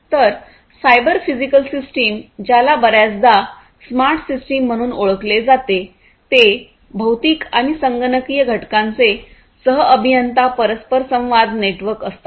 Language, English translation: Marathi, So, cyber physical system also often known as smart systems are co engineered interacting networks of physical and computational components